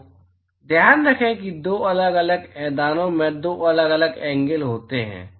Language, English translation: Hindi, So, keep it in mind that there are two different angles in two different plains